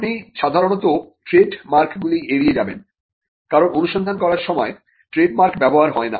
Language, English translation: Bengali, You would normally avoid trademarks, because trademarks are not used while doing a search